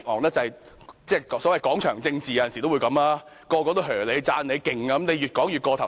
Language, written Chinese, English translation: Cantonese, 有時面對所謂"廣場政治"，所有人也稱讚你厲害，便會越說便越過頭。, In face of the so - called square politics and when everyone is putting you on a high pedestal it is only natural that you will get carried away